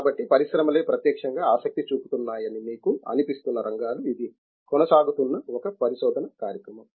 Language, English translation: Telugu, So, these are the areas that you feel that you know industry itself is directly interested in, a research program that is ongoing